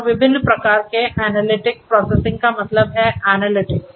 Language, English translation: Hindi, And the different types of analytics processing means analytics right